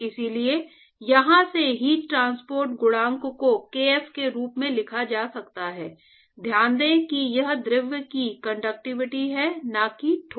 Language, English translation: Hindi, So, therefore, from here heat transport coefficient can be written as kf so, note that this is the conductivity of the fluid not the solid